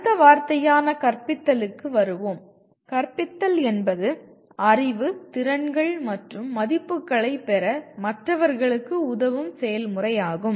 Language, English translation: Tamil, Coming to next word “teaching”, teaching is a process of helping others to acquire knowledge, skills and values